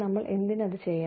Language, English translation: Malayalam, Why should we do it